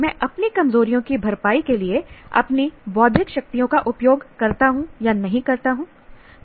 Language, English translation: Hindi, I use, do not use my intellectual strengths to compensate for my weaknesses